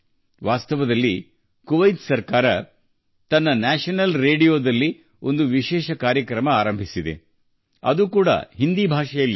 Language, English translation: Kannada, Actually, the Kuwait government has started a special program on its National Radio